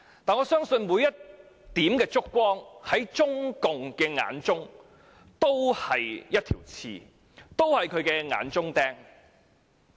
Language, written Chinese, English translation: Cantonese, 但是，我相信每一點燭光在中共眼裏都是一根刺，仍然是眼中釘。, Nevertheless I believe each flicker of candlelight is a thorn in the eyes of CPC or a thorn in its side